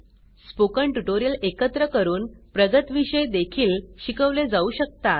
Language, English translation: Marathi, By combining spoken tutorials, advanced topics can also be taught